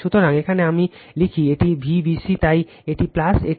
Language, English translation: Bengali, So, here I write it is V b c, so it is plus, it is minus